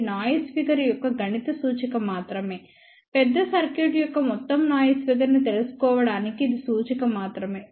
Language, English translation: Telugu, This is just a mathematical representation of noise figure, only to find out overall noise figure of a larger circuit